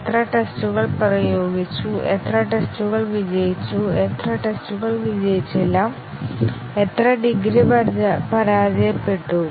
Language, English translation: Malayalam, How many tests were applied, how many tests were successful, how many tests have been unsuccessful and the degree to which they were unsuccessful